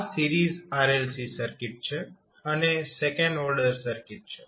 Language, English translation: Gujarati, Also, the parallel RLC circuit is also the second order circuit